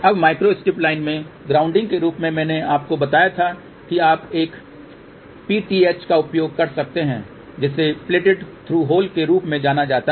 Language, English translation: Hindi, Now, grounding in the micro strip line as I had told you you can use a PTH which is known as plated through hole